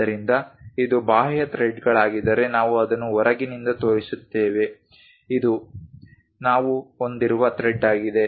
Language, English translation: Kannada, So, if it is external threads we show it from the external side this is the thread on which we have it